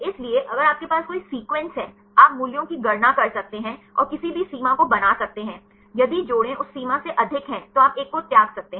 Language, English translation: Hindi, So, if you have any pair of sequences; you can calculate the values and make any threshold, if the pairs are more than that threshold then you can discard one